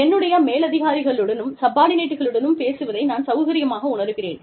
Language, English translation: Tamil, If i feel comfortable, speaking to my superiors and subordinates